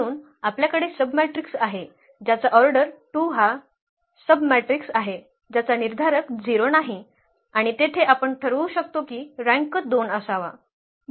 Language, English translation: Marathi, So, we have a submatrix whose determinant the submatrix of order 2 whose determinant is not 0 and there we can decide now the rank has to be 2